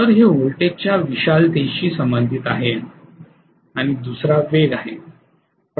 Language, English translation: Marathi, So okay, this is related to the magnitude of voltage and the second one is speed